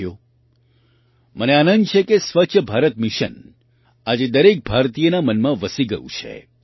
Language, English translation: Gujarati, Friends, I am happy that the 'Swachh Bharat Mission' has become firmly rooted in the mind of every Indian today